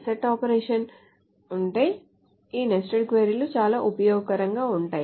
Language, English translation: Telugu, So if there are set operations then these nested queries are very useful